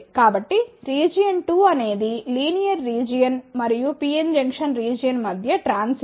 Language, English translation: Telugu, So, the region 2 is a transition between the linear region and the PN junction region